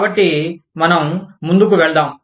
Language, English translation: Telugu, So, let us move on